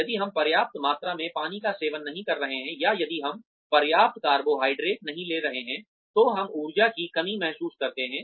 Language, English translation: Hindi, If, we are not consuming enough water, or if we are not taking in enough carbohydrates, we do tend to feel, depleted of energy